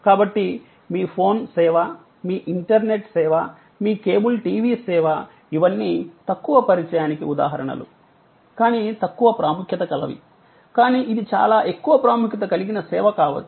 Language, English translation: Telugu, So, your phone service, your internet service, your cable TV service, these are all examples of low contact, but not low importance, it could be very high importance service